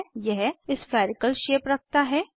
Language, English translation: Hindi, It has spherical shape